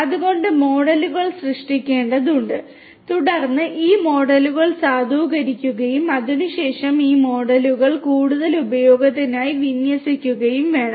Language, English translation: Malayalam, So, models have to be created and then these models will have to be validated and thereafter these models will have to be deployed for further use